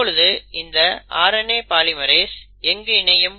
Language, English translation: Tamil, Now, where does a RNA polymerase bind